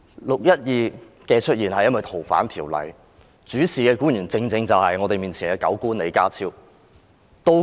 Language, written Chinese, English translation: Cantonese, "六一二"事件的出現是因為修訂《逃犯條例》，主事的官員正正是我們面前的"狗官"李家超。, The 12 June incident happened because of the amendment of the Fugitive Offenders Ordinance and the government official in charge of the amendment is John LEE the dog official before us